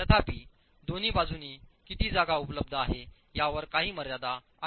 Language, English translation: Marathi, However, there is a certain constraint on how much of space is available on the two sides